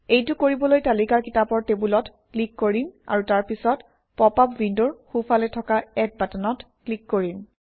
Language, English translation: Assamese, We will do this by clicking on the Books table in the list and then clicking on the Add button on the right in the popup window